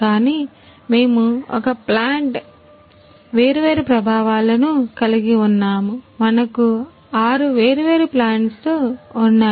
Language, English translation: Telugu, But we have different effects in a plant, we have a six different plant in which